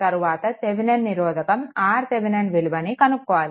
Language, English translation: Telugu, And then you have to find out also that your R Thevenin, Thevenin resistance